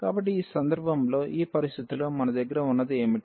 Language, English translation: Telugu, So, in this situation in this case what we have